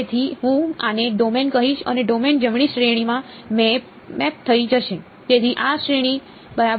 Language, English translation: Gujarati, So, I will call this a domain and the domain gets mapped to the range right; so this is the range ok